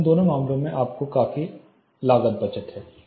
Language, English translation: Hindi, So, both these cases you have considerable cost saving